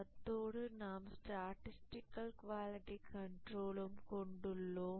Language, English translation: Tamil, We will see what is quality control and statistical quality control